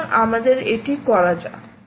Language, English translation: Bengali, so lets do that